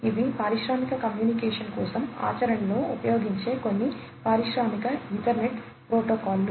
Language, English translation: Telugu, These are some of the Industrial Ethernet protocols that are used in practice in for industrial communication